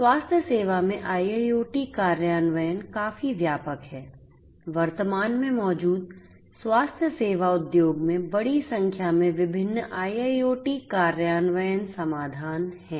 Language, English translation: Hindi, IIoT implementation in healthcare is quite perceptive; there are large number of different IIoT implementation solutions in the healthcare industry that exist at present